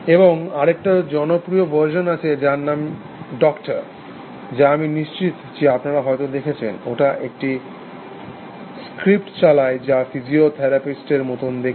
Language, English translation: Bengali, And there popular version called doctor, which I am sure you might have seen, it runs a script which makes it looks like psychotherapist essentially